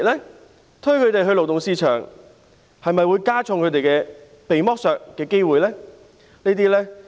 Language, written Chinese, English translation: Cantonese, 政府推動他們加入勞動市場，會否增加他們被剝削的機會呢？, If the Government encourages them to join the job market will this increase the likelihood of their being exploited?